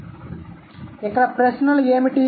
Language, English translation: Telugu, So, what are the questions